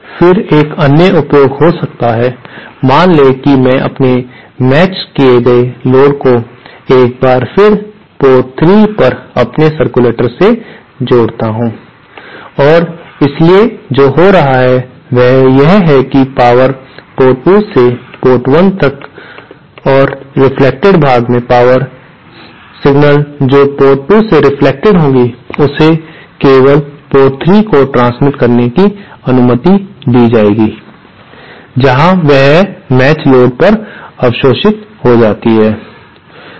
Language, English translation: Hindi, Then one other use could be, suppose I connect my matched load to my circulator at the port 3 once again and so what is happening is that power will transfer from port 1 to port 2 and in the reflected part, power, any signal that is reflected from port 2 will be allowed to transmit only to port 3 where it gets absorbed at this matched load